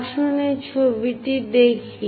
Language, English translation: Bengali, Let us look at this picture